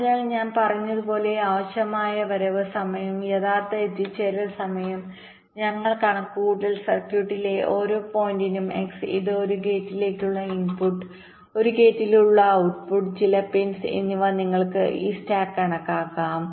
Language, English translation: Malayalam, ok, so as i had said, once we have calculated the required arrival time and the actual arrival times for every point x in the circuit, this may denote the input, a gate, the output of a gate, some pins